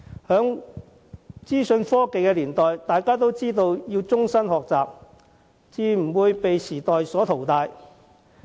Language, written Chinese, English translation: Cantonese, 在資訊科技年代，終身學習十分重要，否則便會被時代淘汰。, In this information era everyone must embark on lifelong learning so that they will not lose out